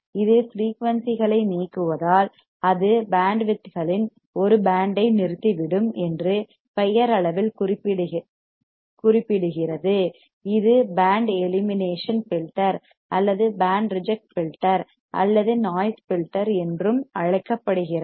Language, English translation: Tamil, The name itself indicates it will stop a band of frequencies since it eliminates frequencies, it is also called band elimination filter or band reject filter or noise filter you see